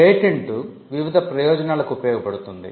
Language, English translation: Telugu, Patent serve different purposes